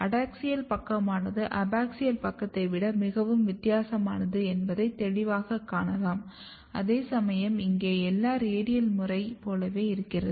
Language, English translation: Tamil, You can clearly see the adaxial side is very different than the abaxial side whereas, here everything is looking like radicalradial pattern